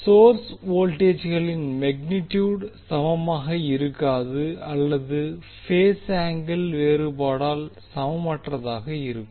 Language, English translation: Tamil, The source voltage are not equal in magnitude and or differ in phase by angle that are unequal